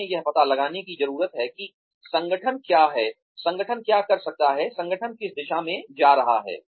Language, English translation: Hindi, We need to find out, what the organization is, what the organization can do, what the organization is going towards